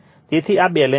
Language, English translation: Gujarati, So, this is balanced